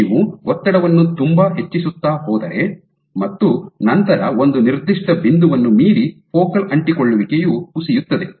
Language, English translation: Kannada, So, if you increase the tension too much, then beyond a certain point focal adhesion will fall apart